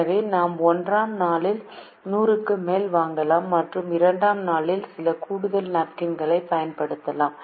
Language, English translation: Tamil, so we can buy more than hundred on day one and use some of the extra napkins on day two